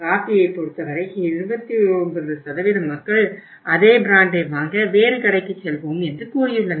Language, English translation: Tamil, In case of the coffee in case of the coffee we have seen that 29% of the people buy the same brand coffee at another store